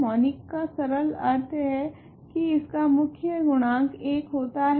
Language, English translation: Hindi, Monic simply means that its leading coefficient is 1